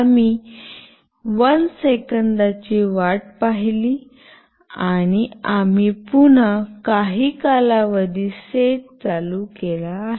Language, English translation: Marathi, We wait for 1 second and we again set some period and this goes on